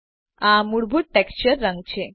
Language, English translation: Gujarati, This is the default texture color